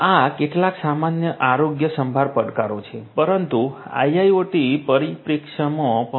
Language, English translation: Gujarati, These are some of the generic healthcare challenges, but from an IIoT perspective as well